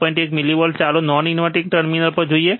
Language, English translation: Gujarati, 1 millivolts, let us see at non inverting terminal